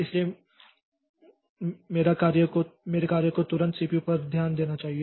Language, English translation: Hindi, So, my job should get attention of the CPU immediately